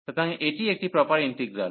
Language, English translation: Bengali, So, this is a proper integral